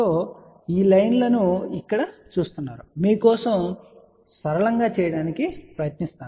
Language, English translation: Telugu, Now you see multiple these lines over here we will try to make thing simple for you